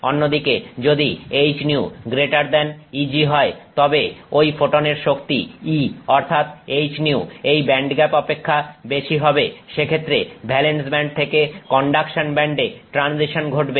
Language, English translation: Bengali, If on the other hand H new is greater than EG, so E of that energy of that photon which is H new is greater than that of the band gap, then the transition occurs from the valence band to the conduction band